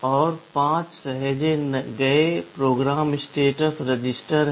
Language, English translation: Hindi, And there are 5 saved program status register